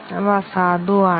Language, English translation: Malayalam, They are invalid